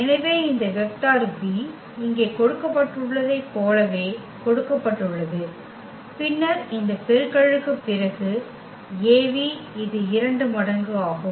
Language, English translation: Tamil, So, this vector v which is given here as is exactly this one and then the Av after this product it is just the 2 times